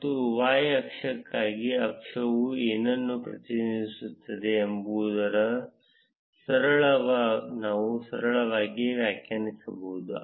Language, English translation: Kannada, And for y axis, we can simple define what the axis is going to represent